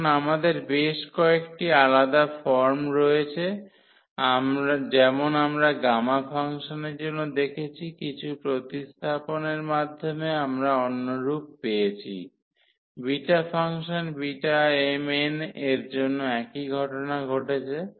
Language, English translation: Bengali, Now, we have also several different forms like we have seen just for the gamma function by some substitution we got another form, same thing happened for beta function